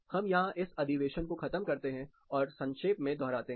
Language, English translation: Hindi, We will close this session here, take a quick recap